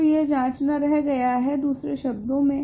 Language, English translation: Hindi, So, it remain to check in other words